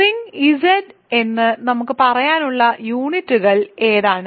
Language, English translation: Malayalam, So, what are the units in let us say the ring Z